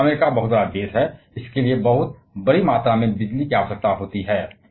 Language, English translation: Hindi, But US is the huge country and that requires very large amount of electricity